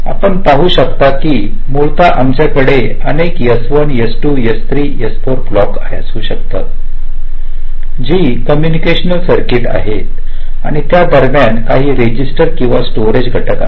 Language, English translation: Marathi, essentially, we have several s, one, s, two, s, three s, four blocks which are combinational circuits and there are some registers or storage elements in between